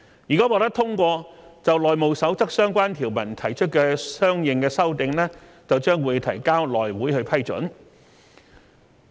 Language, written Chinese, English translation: Cantonese, 如果獲得通過，就《內務守則》相關條文提出的相應修訂將提交內會批准。, If this is endorsed the corresponding amendments to the relevant provisions of the House Rules will be submitted to the House Committee for approval